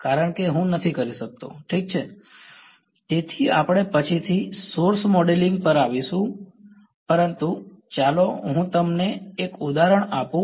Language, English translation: Gujarati, Yeah ok; so, we will come to source modeling later, but let me just give you an example